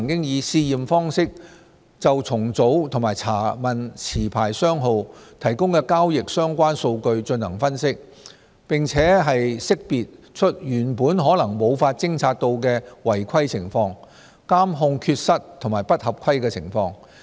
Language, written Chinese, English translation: Cantonese, 此外，證監會曾以試驗方式就重組及查問持牌商號提供的交易相關數據進行分析，並識別出原本可能無法偵察到的違規情況、監控缺失及不合規情況。, Furthermore SFC has on a trial basis analysed transactions - related data submitted by licensees undergoing reorganization or under inquiry and identified cases of irregularities monitoring failures and non - compliance which might otherwise have gone undetected